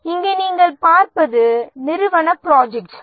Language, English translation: Tamil, Here what you see is the projects